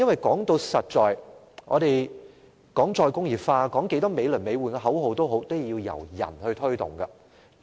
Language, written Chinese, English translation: Cantonese, 說到底，即使我們談"再工業化"，繼續叫喊美輪美奐的口號，但最終也需人才推動。, After all even if we talk about re - industrialization and keep chanting high - sounding slogans talents are required to take forward re - industrialization eventually